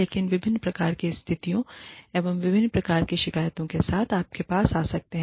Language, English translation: Hindi, People could come to you with, different types of grievances, different types of situations